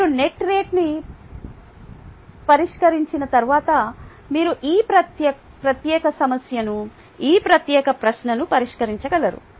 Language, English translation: Telugu, ok, once you fix on the net rate, then you would be able to solve this particular problem, this particular question